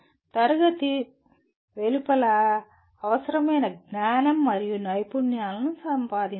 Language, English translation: Telugu, Acquire the required knowledge and skills outside classroom